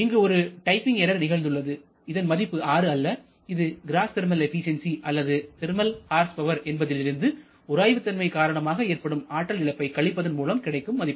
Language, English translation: Tamil, Here there is a typing error it is not 6 it is just gross indicate a thermal efficiency or thermal horsepower minus they are rubbing friction loss only